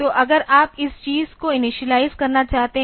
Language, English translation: Hindi, So, you can if you want to initialize this thing